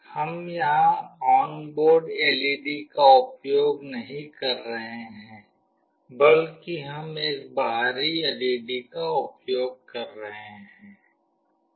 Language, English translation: Hindi, We are not using the onboard LED here; rather, we are using an external LED